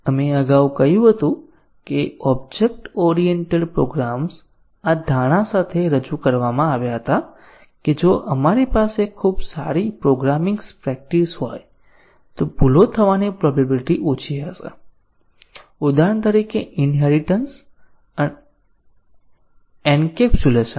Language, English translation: Gujarati, We had said earlier that object oriented programs were introduced with the assumption that if we have very good programming practices inculcated then the chances of bugs will be less, for example, inheritance encapsulation and so on